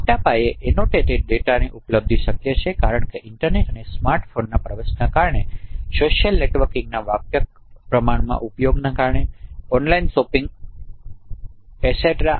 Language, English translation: Gujarati, So availability of large scale annotated data is possible because of penetration of internet and smartphones, widespread of social networking, online shopping, etc